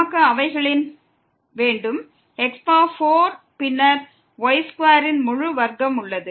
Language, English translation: Tamil, We have their 4 and then square whole square